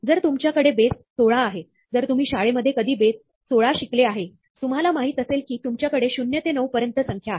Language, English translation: Marathi, If you have base 16, if you have studied base 16 ever in school, you would know that, you have the digit zero to 9, but base 16 has numbers up to 15